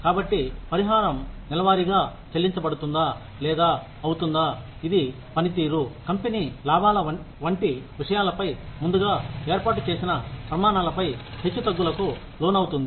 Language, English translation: Telugu, So, will the compensation be paid monthly, or, will it be, will it fluctuate on things, pre established criteria such as, performance and company profits